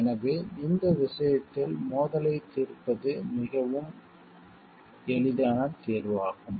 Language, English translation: Tamil, So, in this case the resolution of conflict is a very easy choice